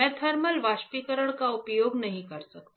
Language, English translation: Hindi, I cannot use thermal evaporation; I cannot use thermal evaporation